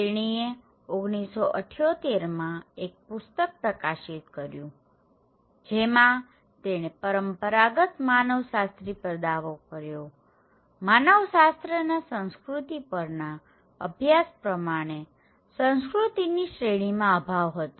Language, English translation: Gujarati, She published a book in 1978 and claiming that the traditional anthropologists; anthropological studies on culture, they are lacking any category of culture